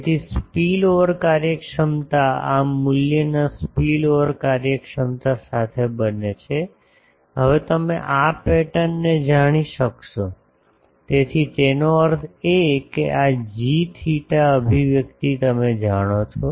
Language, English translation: Gujarati, So, spillover efficiency becomes with this value spillover efficiency will you can now you know the pattern; so that means, this g theta expression you know